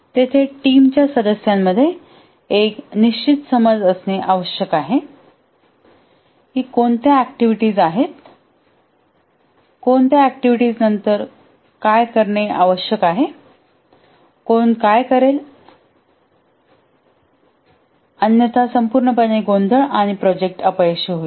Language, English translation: Marathi, There must be a precise understanding among the team members that what are the activities, which activity needs to be done after what, who will do and so on, otherwise it would lead to chaos and project failure